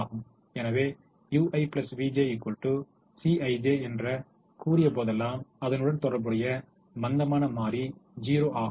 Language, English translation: Tamil, so whenever u i plus v j is equal to c i j, the corresponding slack variable is zero